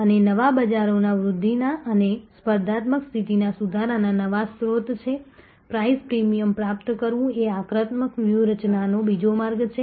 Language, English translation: Gujarati, And new markets are new source of growth and improving competitive position another way of offensive strategy is achieve price premium